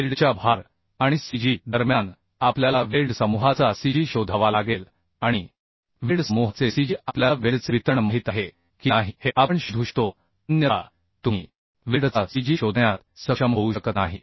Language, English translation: Marathi, So we have to find the cg of the weld group and cg of the weld group we can find out if we know the distribution of weld otherwise you cannot be able to find out the cg of the weld